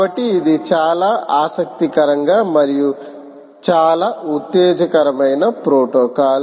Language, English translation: Telugu, so that makes it very interesting and very exciting protocol